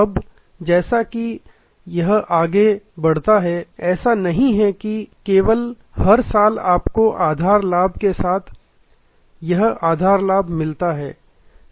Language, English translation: Hindi, Now, as it goes on then it is not that only you get every year this base profit with the base profit